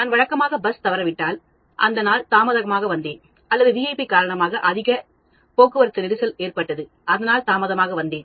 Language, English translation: Tamil, That day I came late because I missed the usual bus or that day I came late because there was a heavy traffic jam because of VIP movement